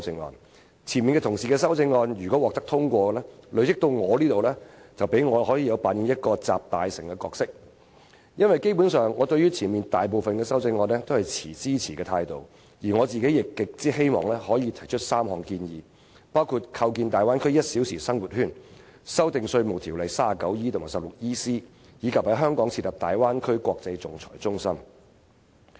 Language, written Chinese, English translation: Cantonese, 如果前方議員的修正案獲得通過，及至我發言時，便可以讓我扮演"集大成"的角色，因為我對前方大部分的修正案基本上均持支持的態度，而我亦十分希望提出3項建議，包括構建粵港澳大灣區"一小時生活圈"、修訂《稅務條例》第 39E 及 16EC 條，以及在香港設立大灣區國際仲裁中心。, If the preceding amendments are all passed I can play the role of consolidating all the views when it is my turn to speak . I say so because I basically support most of the preceding amendments and I am also very eager to put forth three recommendations namely building an one - hour living circle in the Guangdong - Hong Kong - Macao Bay Area amending sections 39E and 16EC of the Inland Revenue Ordinance and setting up an international arbitration centre in Hong Kong for the Bay Area